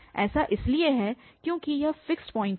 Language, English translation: Hindi, This is because this is the fixed point